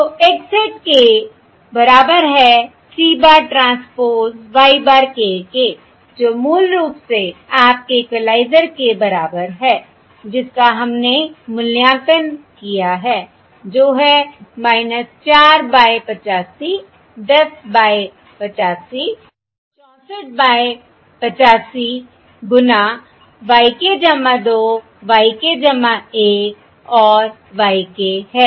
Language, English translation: Hindi, and that shows that x hat k is basically equal to minus 4 by 85 times y of k plus 2 plus 10 by 85 times y of k plus 1 plus 64 by 85 times y of k